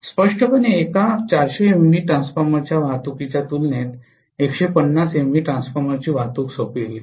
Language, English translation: Marathi, Obviously transporting a 150 MVA transformer will be simpler as compared to transporting one single 400 MVA transformer